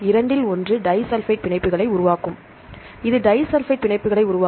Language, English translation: Tamil, Among the two one will form disulphide bonds, which will form disulphide bonds